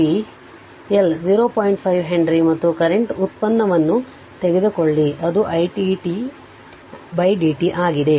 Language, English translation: Kannada, 5 Henry right and and you take the derivative of the current i t di t upon dt